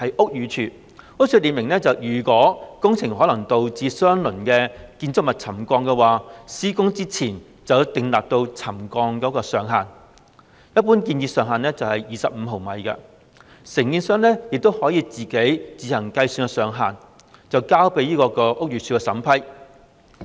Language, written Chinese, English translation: Cantonese, 屋宇署列明，如工程可能導致相鄰建築物沉降，施工前要擬定可容許的沉降上限，一般建議上限為25毫米，而承建商亦可自行計算上限，再交由屋宇署審批。, As clearly stipulated by the Buildings Department BD if any works may cause settlement of the adjacent buildings an allowable limit of settlement should be drawn up before implementation of works . In general the recommended limit is 25 mm . The contractor may also work out the limit by itself and submit it to BD for approval